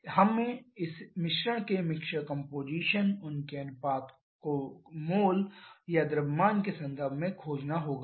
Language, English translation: Hindi, We have to find this mixture composition their ratio in terms of mole or in terms of mass